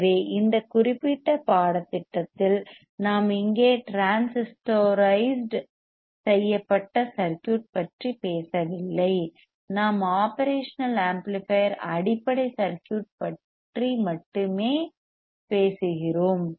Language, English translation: Tamil, So, we are not talking about transistorized circuit here in this particular course, we are only talking about the operation amplifier base circuit